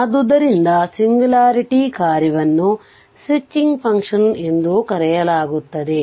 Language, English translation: Kannada, So, singularity function are also called the switching function right